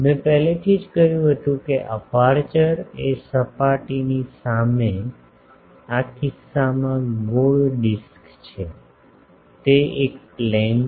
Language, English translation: Gujarati, I already said that the aperture is a plane in this case which is circular disk, just in front of the surface